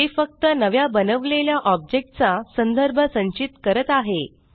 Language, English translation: Marathi, It only holds the reference of the new object created